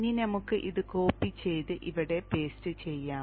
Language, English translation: Malayalam, Now let us copy this and paste it here